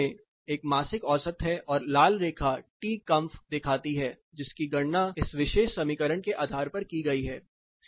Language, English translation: Hindi, Then the center one is the monthly mean and the red line shows the T comf calculated based on this particular equation